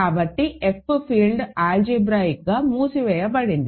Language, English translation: Telugu, F q is not algebraically closed, because it is a finite field